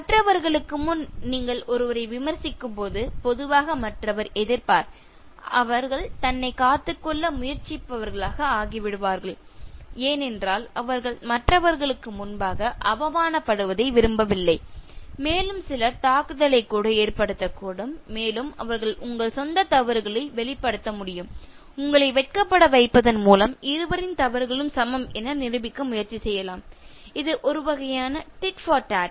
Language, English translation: Tamil, When you criticize someone before others, normally the other person will resist, they will become defensive, because they don’t want to feel humiliated before others and to the extent some people can even become offensive and they can reveal your own faults and they can try to put you to shame so that this is equated, it is a kind of tit for tat